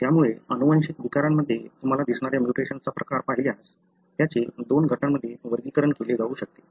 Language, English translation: Marathi, So, if you look into the type of mutation that you see in genetic disorders, they can be broadly categorized into two groups